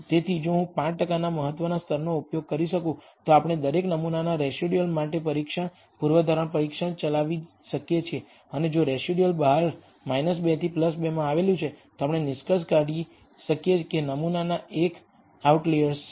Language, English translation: Gujarati, So, if I use a 5 percent level of significance we can run a test, hypothesis test for each sample residual, and if the residual lies outside minus 2 to plus 2, we can conclude that the sample is an outlier